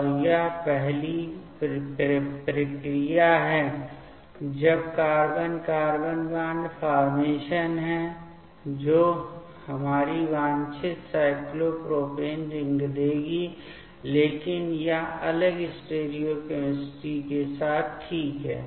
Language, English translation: Hindi, And this first process that is the carbon carbon bond formation that will give our desired cyclopropane ring, but with a different stereochemistry ok